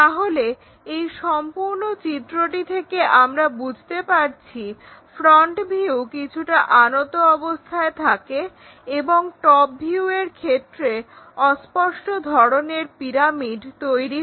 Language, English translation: Bengali, So, the overall construction gives us the front view looks like an inclined one and the top view makes this obscured kind of pyramid